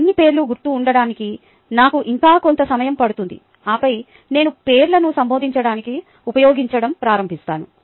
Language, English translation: Telugu, still takes me quite a bit of time to become comfortable with all the names and then i start using the names to address them